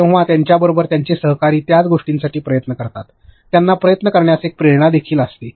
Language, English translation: Marathi, When they have their peers along with them trying to attempt the same thing; they will also have a motivation to attempt it